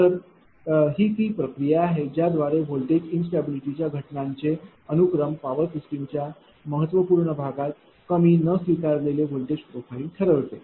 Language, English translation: Marathi, So, it is the process by which the sequence of events accompanying voltage instability leads to a low unacceptable voltage profile in a significant part of the power system